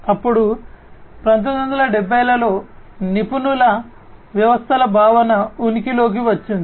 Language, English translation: Telugu, Then you know in the 1970s the concept of expert systems came into being